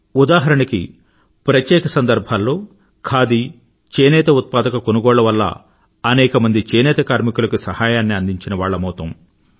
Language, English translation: Telugu, For example, think of purchasing Khadi and handloom products on special occasions; this will benefit many weavers